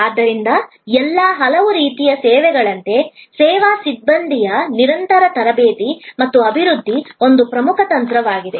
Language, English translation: Kannada, So, just as for many other types of services, the continuous training and development of service personnel will be an important strategy